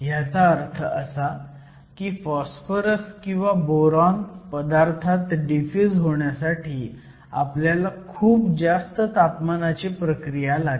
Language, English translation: Marathi, What this means is in order to have boron or phosphorous diffusing into a material, you essentially need a high temperature process